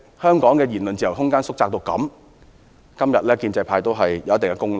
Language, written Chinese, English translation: Cantonese, 香港的言論自由縮窄至此，建制派有一定的功勞。, Therefore the pro - establishment camp has somehow contributed to the significant decline in Hong Kongs freedom of speech